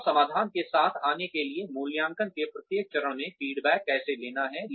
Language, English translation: Hindi, And, how feedback needs to be taken, at every stage of assessment, in order to come up with solutions